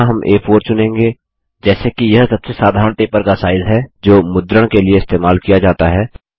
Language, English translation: Hindi, Here we will choose A4 as this is the most common paper size used for printing